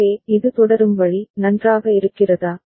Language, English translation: Tamil, So, this is the way it will continue, is it fine